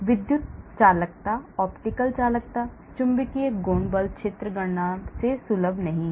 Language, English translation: Hindi, Electrical conductivity, optical conductivity, magnetic properties are not accessible from force field calculations